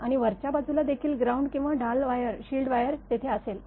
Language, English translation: Marathi, And on the top also ground or shield wire will be there